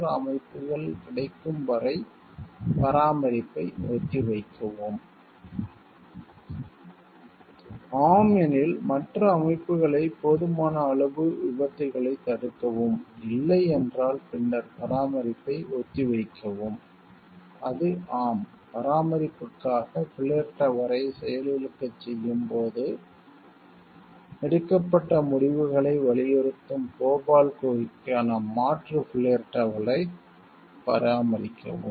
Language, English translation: Tamil, Defer maintenance until other systems are available, if it is yes, will use other systems adequately prevent accidents, no then defer maintenance it is yes, perform maintenance an alternative flow chart for the Bhopal cave emphasizing decisions made when deactivating the flare tower for maintenance